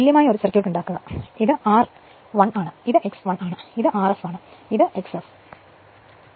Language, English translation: Malayalam, You make an equivalent circuit, this is my r 1, this is my x 1 and this is my r f and this is my x f right